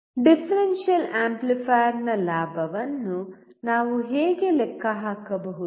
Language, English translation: Kannada, How can we calculate the gain of a differential amplifier